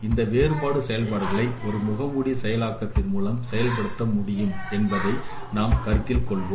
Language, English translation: Tamil, Let us consider that these difference operations would be performed by a competition with mask